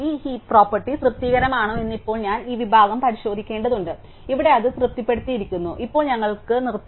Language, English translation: Malayalam, And now I have to check this section whether this heap property is satisfied, here it is satisfied now we want stop